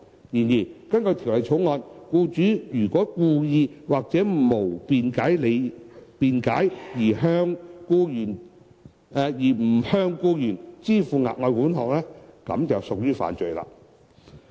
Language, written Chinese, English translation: Cantonese, 然而，根據《條例草案》，僱主如果故意或無合理辯解而不向僱員支付額外款項，即屬犯罪。, However an employer who wilfully and without reasonable excuse fails to pay the further sum to an employee commits an offence under the Bill